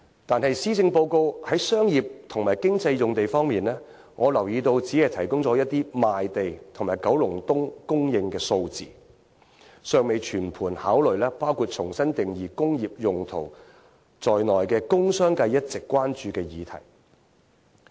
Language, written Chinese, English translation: Cantonese, 但是，施政報告在商業及經濟用地方面，我留意到只是提供了一些賣地及九龍東供應量的數字，尚未全盤考慮包括重新定義"工業用途"在內的工商界一直關注的議題。, However regarding commercial and economic land uses the Policy Address only lists some figures about land sale and land supply in Kowloon East without thoroughly considering issues which have concerned the commerce and industry sector for long including redefining industrial use